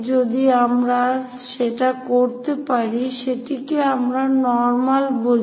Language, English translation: Bengali, If we can do that, that is what we call normal